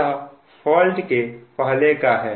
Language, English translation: Hindi, this is during fault